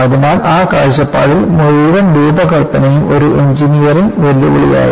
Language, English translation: Malayalam, So, from that point of view, the whole design was an engineering challenge